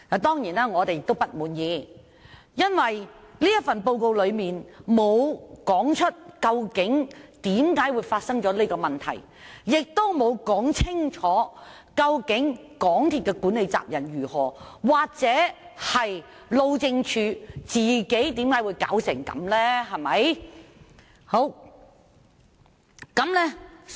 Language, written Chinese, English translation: Cantonese, 當然，我們對此並不滿意，因為報告沒有指出為何會發生這問題，亦沒有說清楚究竟港鐵公司的管理責任為何，或路政署為何會讓這樣的情況出現。, Certainly we are dissatisfied with the report because it does not explain the causes of the problems the specific management responsibilities of MTRCL as well as why the Highways Department has allowed the problems to occur